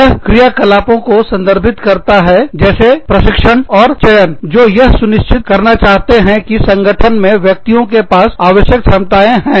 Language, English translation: Hindi, This refers to the activities, such as training and selection, that seek to ensure, that the individuals in the organization, have the required competencies